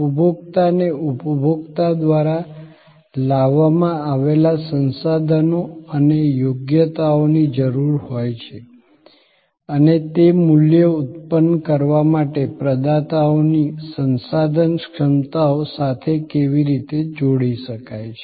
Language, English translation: Gujarati, The consumer need the resources and competencies the consumer brings and how that can be combined with the providers resources competencies to produce value